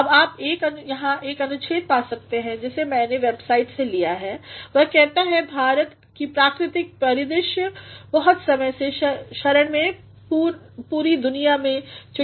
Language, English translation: Hindi, Now, you can find here one paragraph which I have taken from one website, which says: India's rich natural landscape has long been the refuge of birds all over the world